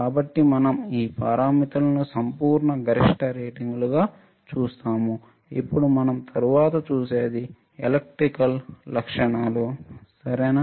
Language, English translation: Telugu, So, we see this parameters as absolute maximum ratings, then what we see then we see Electrical Characteristics ok